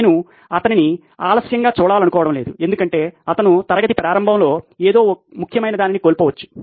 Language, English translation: Telugu, I don’t want to see him late because he may be missing something important at the start of the class